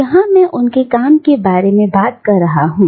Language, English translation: Hindi, And, here I am talking about work